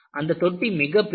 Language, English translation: Tamil, And, the tank was very huge